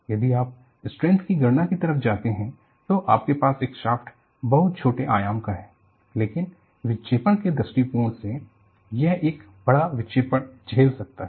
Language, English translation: Hindi, If you go by the strength calculation, you will have a shaft which is of very small dimension, but from deflection point of view, it may experience the larger deflection